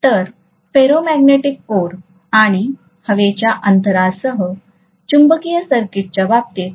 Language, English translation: Marathi, So, so much so for the case of magnetic circuit with ferromagnetic core and air gap